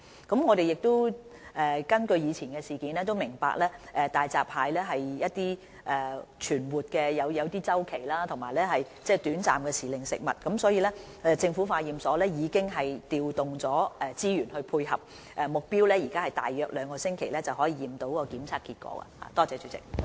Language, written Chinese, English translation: Cantonese, 參考以往發生的事件，我們明白大閘蟹的存活有周期，是短暫時令食物，所以政府化驗所已調動資源配合，現時的目標是在約兩星期內得出檢驗結果。, Referring to the previous incidents we realized that given the life cycle of hairy crab it is seasonal food . Thus the Government Laboratory has deployed resources correspondingly and it is our current aim to provide test results within approximately two weeks